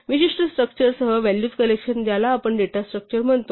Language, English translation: Marathi, And a collection of values with the particular structure is precisely what we call data structure